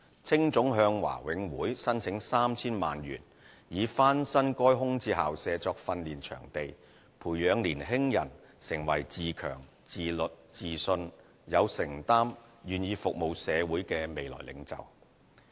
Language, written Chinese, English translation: Cantonese, 青總向華永會申請 3,000 萬元以翻新該空置校舍作訓練場地，培養年輕人成為自強、自律、自信、有承擔、願意服務社會的未來領袖。, HKACA applied for 30 million from BMCPC for renovation of the premises into a training ground to nurture young people as future leaders who would have the qualities of self - enhancement self - discipline self - confidence commitment and willingness to serve the community